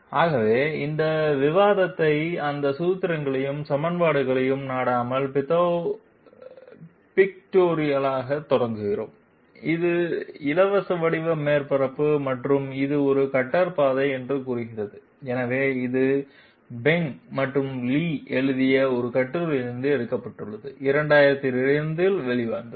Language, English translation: Tamil, So we start this one, this discussion pictorially without resorting to those formulae and equations, this is the free form surface and say this is a cutter path, so this has been taken by a paper by Feng and Li came out in 2002